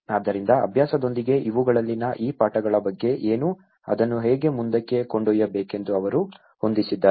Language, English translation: Kannada, So, what about these lessons in these with the practice, they have set up how to take it forward